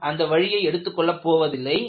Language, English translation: Tamil, We will not take that kind of a route